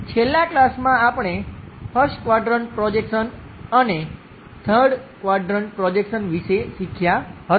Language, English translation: Gujarati, In the last class, we have learned about 1st quadrant projections and 3rd quadrant projections